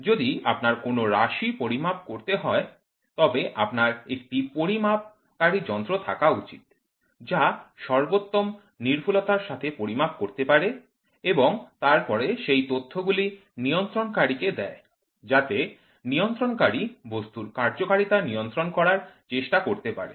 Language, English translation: Bengali, If your variable has to be measured, then you should have a measuring device that measures to the highest accuracy and then that data is given to the control, so that the control tries to control the functioning of the object